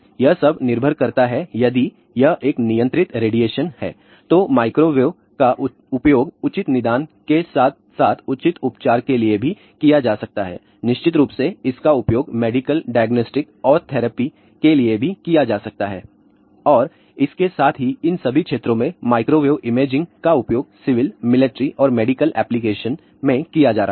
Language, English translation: Hindi, It all depends upon if it is a controlled radiation, then microwave can be used for proper diagnosis as well as proper treatment, of course, it can also be used for medical diagnostic and therapy and along with that to all these areas microwave imaging is finding applications in all civil military and medical applications